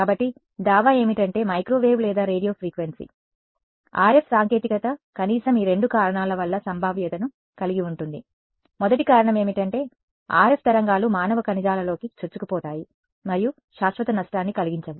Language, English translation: Telugu, So, the claim is that microwave or Radio Frequency: RF technology it has the potential for at least these two reasons; the first reason is that RF waves can penetrate human tissues and not cause permanent damage